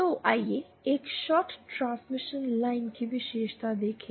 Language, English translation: Hindi, So, let us see the characteristic of a shorted transmission line